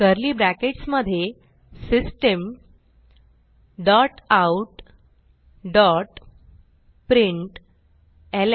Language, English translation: Marathi, Within curly brackets System dot out dot println